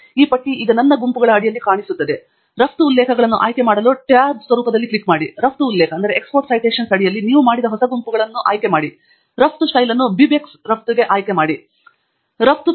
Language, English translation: Kannada, And this list will now appear under My Groups; click on the tab format to choose Export References; under Export References choose the new group of references you have just made; choose Export Style to BibTeX export, click on the Save button to have the data reach your desktop as a text file called exportlist